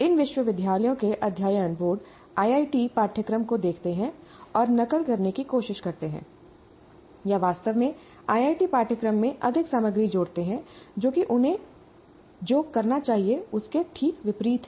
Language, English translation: Hindi, Whenever a curriculum is to be designed, the boards of studies of these universities look at IIT curriculum and try to, in fact, add more content to the IIT curriculum, which is exactly the opposite of what they should be doing